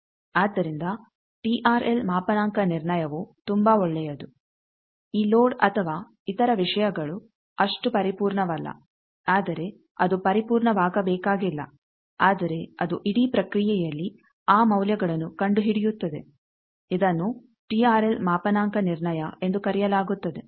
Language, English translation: Kannada, So, TRL calibration is so good that this loads or other things and not so perfect but it is not required to be perfect also, but it finds out those values in the whole process this is called TRL calibration